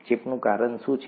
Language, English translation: Gujarati, What causes infection